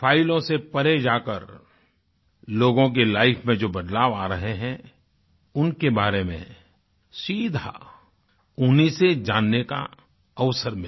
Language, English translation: Hindi, I got an opportunity to know beyond the confines of the files the changes which are being ushered in the lives of people directly from them